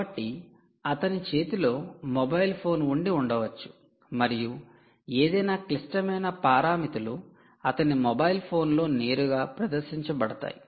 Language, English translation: Telugu, so it could be just that he has a mobile phone in his hand and any critical parameters actually displayed directly on his mobile phone